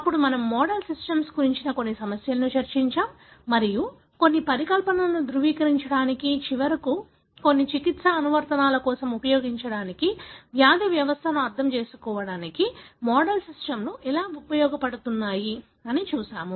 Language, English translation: Telugu, Then we discussed some of the issues about model systems and how model systems are used to understand disease pathology to validate some of the hypothesis and finally, to use it for some therapeutic applications